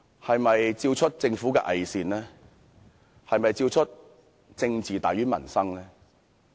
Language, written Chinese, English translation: Cantonese, 是否照出政府的偽善、"政治大於民生"？, Has the debate revealed the hypocrisy of the Government and its intent to put politics before peoples livelihood?